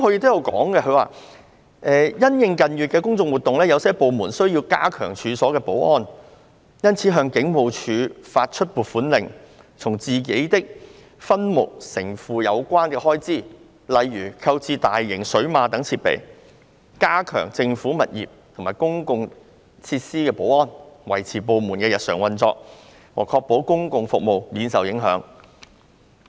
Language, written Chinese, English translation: Cantonese, 他表示："因應近月的公眾活動，有些部門需要加強處所的保安，因此向香港警務處發出撥款令，從自己的分目承付有關的開支，例如購置大型水馬等設備，以加強政府物業和公共設施保安，維持部門的日常運作和確保公共服務免受影響。, He stated that In response to the public order events in recent months some departments need to strengthen premise security and have issued allocation warrants to the Hong Kong Police Force incurring expenditure from their own subheads for measures to enhance the security of government premises and public facilities such as the procurement of huge water barriers and other equipment . The purpose of which is to maintain their daily operations and to ensure that public services are not affected